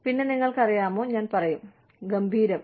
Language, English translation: Malayalam, And, so you know, I will say, okay, great